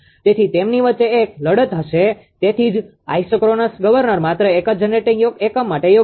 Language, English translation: Gujarati, So, there will be a fight among them that is why isochronous governor is suitable for only one generating unit right